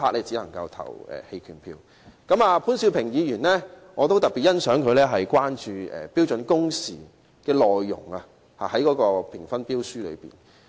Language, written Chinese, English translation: Cantonese, 此外，我也特別欣賞潘兆平議員就標書評分準則中有關標準工時的內容提出關注。, Furthermore I appreciate in particular the concern expressed by Mr POON Siu - ping about the standard working hours in relation to the marking criteria for tenders